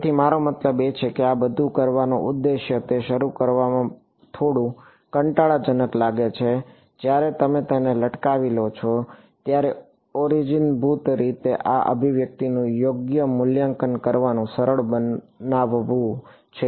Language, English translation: Gujarati, So, I mean the objective of doing all of this, it looks a little tedious to begin with, when you get the hang of it, it is basically to simplify evaluating this expression right